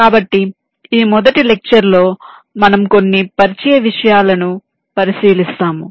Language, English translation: Telugu, so this first lecture you shall be looking at some of the introductory topics